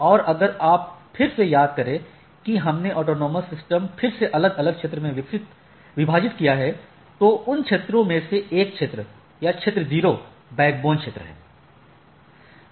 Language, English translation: Hindi, And if you again recollect what we talked about the autonomous system is again divided into different area, out of that one area is or area 0 is the or the backbone area right